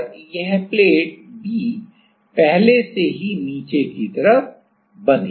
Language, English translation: Hindi, And, this B plate is already fixed at the bottom ok